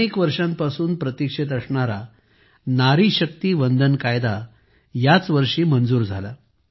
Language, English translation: Marathi, In this very year, 'Nari Shakti Vandan Act', which has been awaited for years was passed